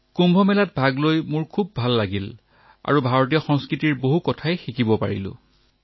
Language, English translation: Assamese, I felt good on being a part of Kumbh Mela and got to learn a lot about the culture of India by observing